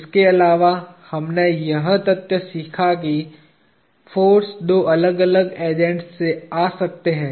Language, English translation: Hindi, In addition, we learnt the fact that forces can come from two different agents